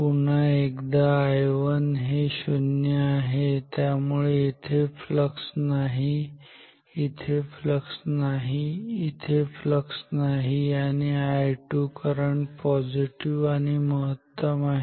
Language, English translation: Marathi, Once again I 1 is 0, so no flux here, no flux here, no flux here and I 2 is positive and maximum